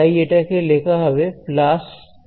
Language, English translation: Bengali, So, this will be written as plus 0